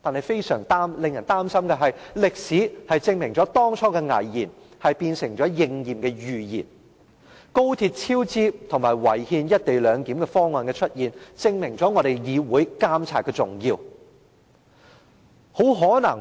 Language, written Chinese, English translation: Cantonese, 非常令人擔心的是，歷史證明了當初的危言成了今天應驗的預言，高鐵超支及違憲"一地兩檢"安排的出現，證明了議會監察何等重要。, It is most worrisome that history has proved that their alarmist prophecies at that time have come true today . The cost overrun of XRL and the unconstitutional co - location arrangement have proved how important it is for the Council to monitor the Government